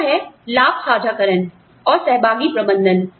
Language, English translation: Hindi, The other is, profit sharing and participative management